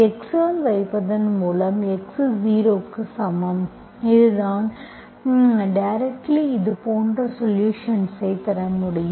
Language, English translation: Tamil, Okay, by putting by x is equal to x0, that is how you can directly get the solution like this